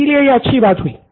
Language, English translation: Hindi, Which is a good thing